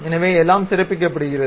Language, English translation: Tamil, So, everything is highlighted